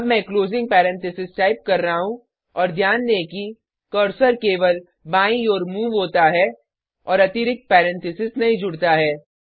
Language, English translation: Hindi, Im now typing the closing parenthesis and note that only the cursor moves to the right and the extra parenthesis is not added